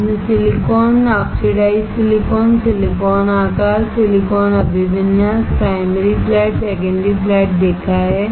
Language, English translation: Hindi, You have seen silicon, oxidized silicon, silicon sizes, silicon orientation, primary flat, secondary flat